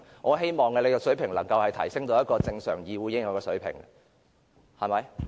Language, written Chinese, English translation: Cantonese, 我希望局長的水平能夠達到一個正常議會應有的水平。, I hope the standard of the Secretary is up to the standard of a normal representative assembly